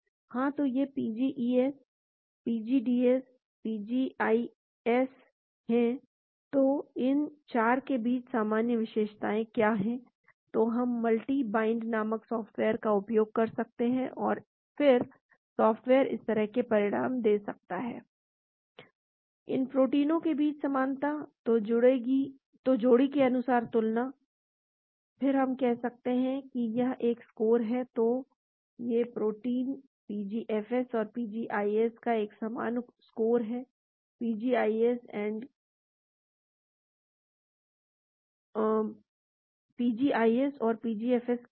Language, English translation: Hindi, Yeah so these are the PGES, PGDS, PGIS, so what is the common feature between these 4, so we can use the software called multi bind and then the software may give results like this, commonality between these proteins, so pairwise comparison, then say there is a score, so these proteins; PGFS and PGIS have a common score, what is that PGIS and PGFS